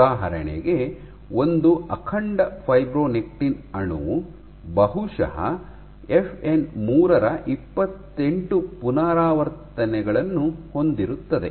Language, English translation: Kannada, So, for example, one intact fibronectin molecule it probably has 28 repeats of FN 3